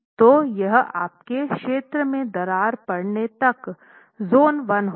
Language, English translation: Hindi, So, that would be your zone 1 all the way till it cracks